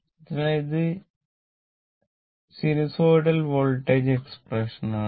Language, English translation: Malayalam, So, this is the expression for the sinusoidal voltage, right